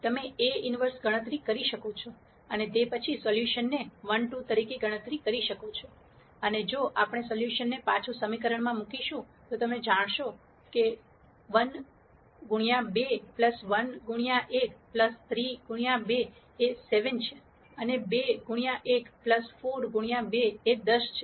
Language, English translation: Gujarati, You can do an inverse computation and then calculate the solution as 1 2 and if we put the solution back into the equation, you will see 1 times 2 plus 1 times 1 plus 3 times 2 is 7 and 2 times 1 plus 4 times 2 is 10